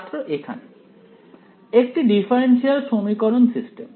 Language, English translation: Bengali, A differential equation system